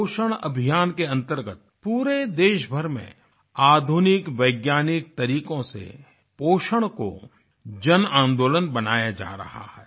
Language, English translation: Hindi, Under the 'Poshan Abhiyaan' campaign, nutrition made available with the help of modern scientific methods is being converted into a mass movement all over the country